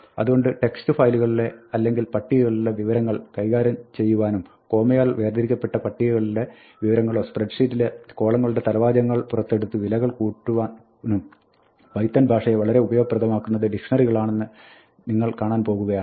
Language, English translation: Malayalam, So, it turns out that you will see that dictionaries are actually something that make python a really useful language for manipulating information from text files or tables, if you have what are called comma separated value tables, it is taken out of spreadsheet because then we can use column headings and accumulate values and so on